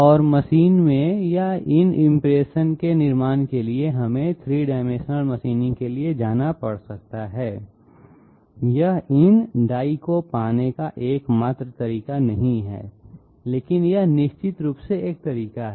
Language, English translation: Hindi, And in order to machine or in order to manufacture these impression dies, we might have to go for 3 dimensional machining, it is not the only way of getting these dies but this is definitely one of the ways